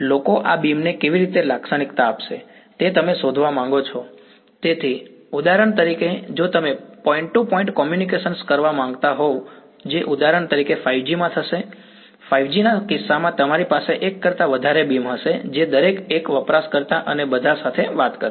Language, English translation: Gujarati, How do people characterize these beams you want to find out; so, for example, if you wanted to do point to point communication which for example, in 5G will happen; in the case of 5G you will have multiple beams each one talking to one user and all